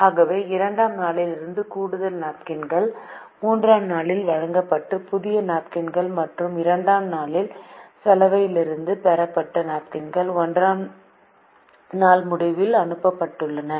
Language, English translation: Tamil, so extra napkins from day two, new napkins bought on day three and napkins received from laundry on day three which were sent at the end of day one